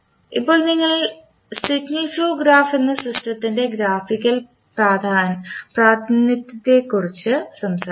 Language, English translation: Malayalam, Now, let us talk about another the graphical representation of the system that is Signal Flow Graph